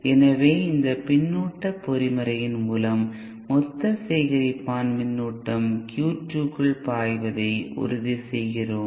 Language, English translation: Tamil, So by this feedback mechanism we have we ensure that the total collector current flowing into Q 2 is constant Thank you